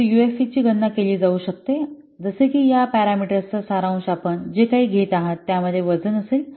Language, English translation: Marathi, So the UFP can be computed like this, that summation of this parameter whatever you are taking and into it will be the weight